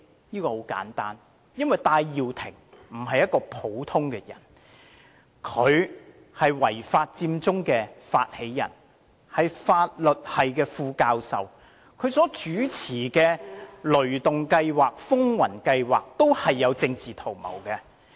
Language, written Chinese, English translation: Cantonese, 很簡單，因為戴耀廷不是一個普通人，他是違法佔中的發起人，亦是法律系副教授，他所主持的"雷動計劃"和"風雲計劃"均有政治圖謀。, He is the initiator of the illegal Occupy Central movement . He is also an Associate Professor in the Faculty of Law . Both ThunderGo campaign and Project Storm led by him carry a political agenda